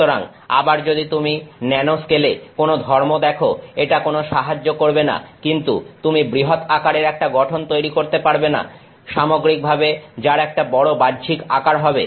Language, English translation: Bengali, So, again it does not help if you have seen some property in the nanoscale, but you cannot make a large sized structure in the which is a large externally overall dimension size